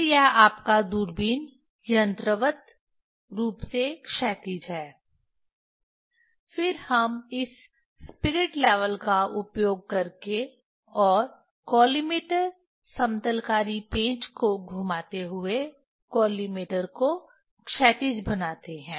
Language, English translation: Hindi, Then this your telescope is mechanically horizontal, then we make the collimator horizontal using this spirit level, and turning the collimator leveling screw